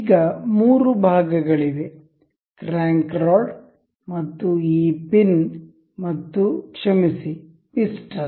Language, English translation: Kannada, Now, there remains the three parts, the crank rod and this pin and the sorry the piston